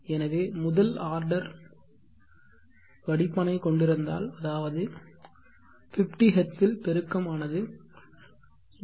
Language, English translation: Tamil, Now we can say that if I have this first order filter and at 50Hz it is so designed that it is having a gain of 0